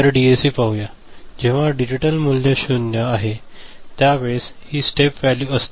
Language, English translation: Marathi, So, let us see for DAC, it is the step value, when the digital input is 0